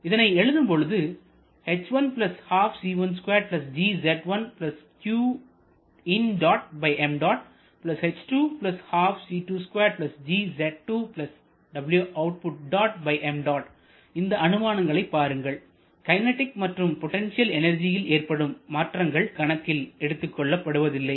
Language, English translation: Tamil, Now look at this assumption we are neglecting any changes in kinetic and potential energies